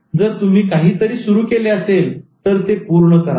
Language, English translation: Marathi, If you start something, finish it